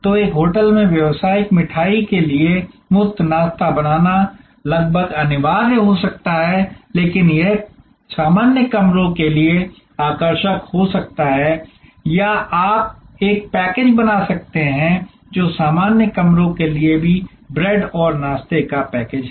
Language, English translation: Hindi, So, the giving a free breakfast make may be almost mandatory for a business sweet in a hotel, but it may be chargeable for normal rooms or you can create a package, which is bread and breakfast package even for normal rooms